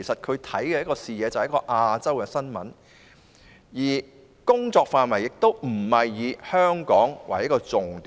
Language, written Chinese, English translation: Cantonese, 他的視野以亞洲新聞為主，工作範圍亦非以香港為重點。, His attention has been focused on Asia news while Hong Kong has not been the priority of his coverage